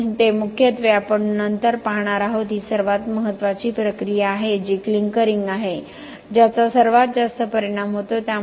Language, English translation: Marathi, So, they are looking mainly at what we will see later is the most important process which is the clinkering which has the most impact